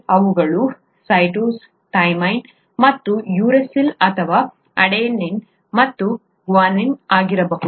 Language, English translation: Kannada, They are, they could be cytosine, thymine and uracil or adenine and guanine, okay